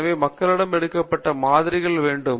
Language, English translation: Tamil, So, we need to have samples taken from the population